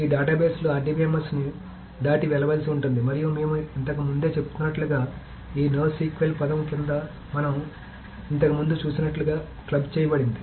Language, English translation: Telugu, So these databases may need to go beyond RDBMS and as we have been saying this essentially this is all clapped under this no SQL term as we saw earlier